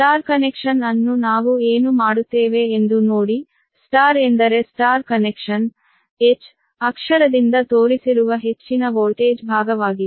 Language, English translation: Kannada, ah, let the star connection, y means the star connection be the high voltage side shown by letter h